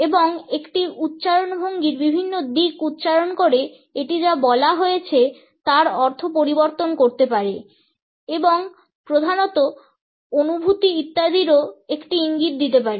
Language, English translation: Bengali, And by accenting different aspects of an utterance it modifies the meaning of what is said and can be a major indication of feelings etcetera